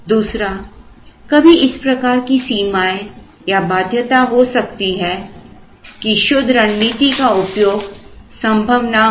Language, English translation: Hindi, The other is sometimes there can be limits or constraints of these which would also make a pure strategy not doable